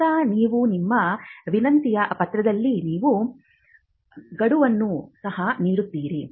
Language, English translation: Kannada, Now you would in your request letter, you would also stipulate a deadline